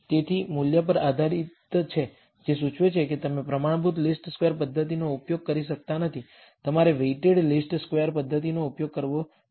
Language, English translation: Gujarati, So, it depends on the value itself, which implies that you cannot use a standard least squares method, you should use a weighted least squares method